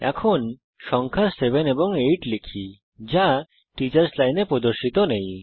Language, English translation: Bengali, Now, lets type the numbers seven amp eight, which are not displayed in the Teachers Line